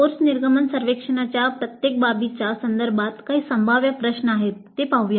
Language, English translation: Marathi, Then with respect to each aspect of the course exit survey, some of the possible questions let us see